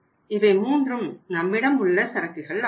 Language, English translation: Tamil, These are the 3 inventories available with us